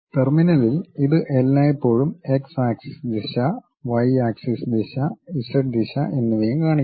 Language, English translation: Malayalam, On the terminal it always shows you the x axis direction, y axis direction, z direction also